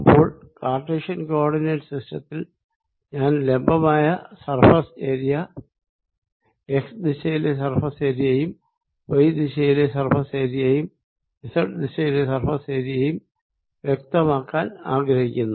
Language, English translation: Malayalam, so in cartesian coordinates i want to identify surface area perpendicular: surface area in x direction, surface area in y direction and surface area in z direction